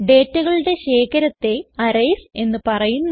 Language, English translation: Malayalam, Arrays are a collection of data